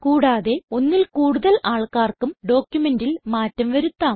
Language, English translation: Malayalam, More than one person can edit the same document